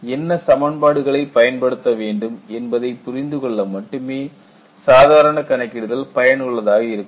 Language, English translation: Tamil, Hand calculations are useful, only for you to understand what equations to use